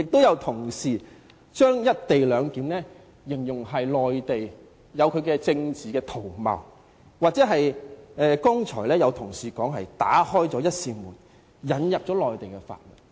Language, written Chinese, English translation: Cantonese, 有同事把"一地兩檢"形容為內地的政治圖謀，剛才有同事說是"打開了一扇門，引入內地法律"。, A colleague described the co - location arrangement as a political conspiracy of the Mainland . Another colleague said just now that the co - location arrangement would open a door and let the Mainland laws in